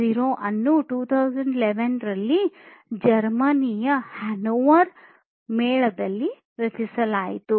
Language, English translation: Kannada, 0 was coined in the Hannover fair in Germany in 2011